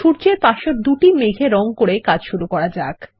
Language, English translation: Bengali, Lets begin by coloring the two clouds next to the sun